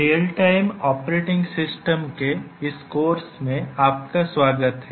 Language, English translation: Hindi, Welcome to this course on Real Time Operating System